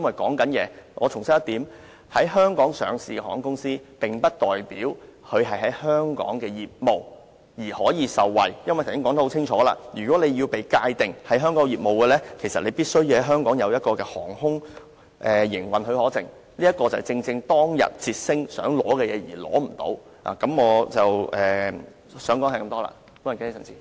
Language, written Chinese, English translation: Cantonese, 我必須重申一點，在香港上市的航空公司，並不代表其在香港的業務可以受惠，因為剛才已很清楚說明，若要被界定為香港業務，必須在香港領有航空營運許可證，這正是捷星航空當天希望取得卻得不到的東西。, I have to state it clearly once again that although an airline company is listed in Hong Kong it does not necessarily imply that its business here in Hong Kong can be benefited because as I have clearly explained earlier a company has to obtain an AOC issued here before it can be defined as operating its business in Hong Kong . This is exactly what Jetstar Airways have tried to obtain years ago but without avail